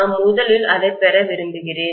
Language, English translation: Tamil, I want to first of all get that